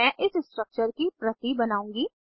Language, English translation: Hindi, I will make a copy of this structure